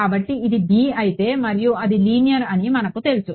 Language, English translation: Telugu, So, if this is b and we know it is linear right